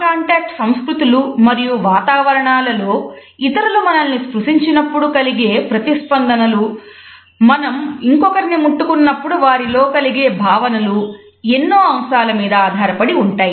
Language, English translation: Telugu, These cultural differences of contact and non contact cultures and environments condition our responses when other people touch us, whether or not somebody would be offended by our touch depends on so many factors simultaneously